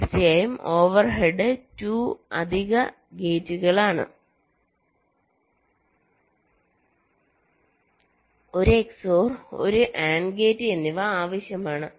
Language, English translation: Malayalam, well, of course, the overhead is two additional gates, one x, o, r and one and gate are required, right